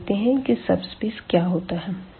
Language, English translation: Hindi, So, here again this what are the subspaces here